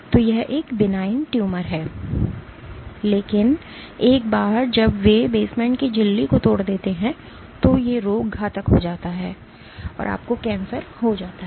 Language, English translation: Hindi, So, that is a benign tumor, but once they breach the basement membrane then the disease becomes malignant and you have cancerous growth